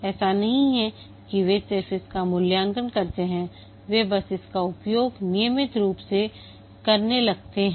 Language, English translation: Hindi, It's not that they just evaluate it, they just start using it regularly